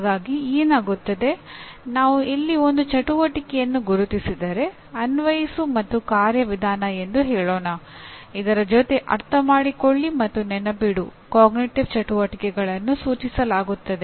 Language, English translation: Kannada, So what happens, if I identify an activity here, let us say apply and procedural then the cognitive activities in Understand and Remember are implied